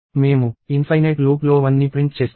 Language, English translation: Telugu, We would be printing 1 in an infinite loop